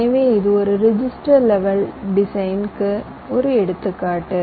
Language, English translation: Tamil, ok, so this is an example of a register level design